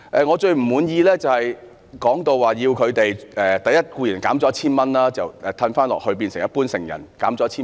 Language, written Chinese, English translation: Cantonese, 我最不滿意的是他們的援助被削減 1,000 元，變成一般成人的綜援。, I am most dissatisfied that their assistance has to be reduced by 1,000 to the adult CSSA level